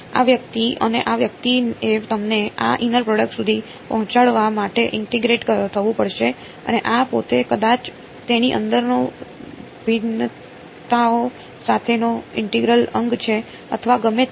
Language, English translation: Gujarati, This guy and this guy they have to be integrated to get you to this inner product and this itself maybe an integral with differentiations inside it or whatever